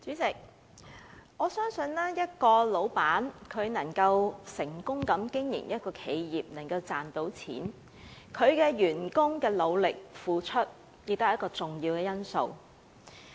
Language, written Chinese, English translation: Cantonese, 代理主席，我相信一名僱主能夠成功經營一家企業，賺到錢，其員工的努力付出，是一個重要因素。, Deputy President I believe the endeavours and efforts of employees are a key factor contributing to the success of an employer in running a profitable enterprise